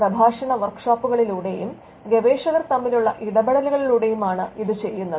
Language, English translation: Malayalam, This is done through lectures workshops and interactions between the research scholars